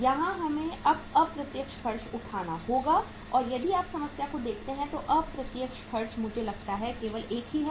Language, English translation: Hindi, Here we have to take now the indirect expenses and if you look at the problem the indirect expense is I think only one